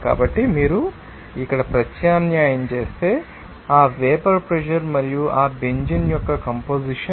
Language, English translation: Telugu, So, that vapour pressure if you substitute here and then the composition of that Benzene